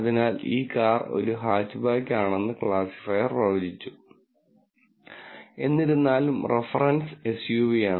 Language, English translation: Malayalam, So, the classifier predicted this car to be hatchback, however, the reference is really SUV